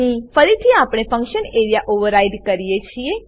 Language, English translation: Gujarati, Here again we override the function area